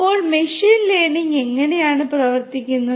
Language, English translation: Malayalam, So, how does machine learning work